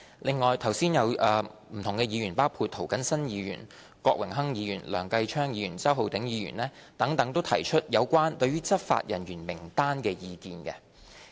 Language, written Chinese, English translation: Cantonese, 另外，剛才有不同的議員，包括涂謹申議員、郭榮鏗議員、梁繼昌議員、周浩鼎議員等，都提出對有關執法人員名單的意見。, In addition different Members including Mr James TO Mr Dennis KWOK Mr Kenneth LEUNG and Mr Holden CHOW just now expressed their views on the list of relevant law enforcement officers